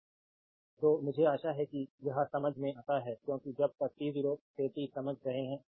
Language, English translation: Hindi, So, 2 I hope it is understandable to you because when you are understanding this t 0 to t